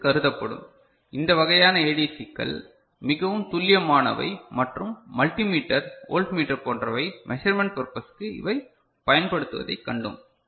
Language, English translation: Tamil, For which this are considered, this kind of ADCs are found to be more accurate and multi meter, voltmeter construction etcetera the measurement purposes, we have seen that these are used